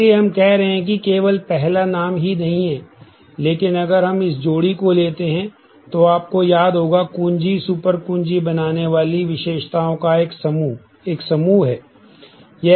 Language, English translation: Hindi, So, we are saying that not only the first name, but if we take this pair, you remember the key, the set of attributes forming a super key is a set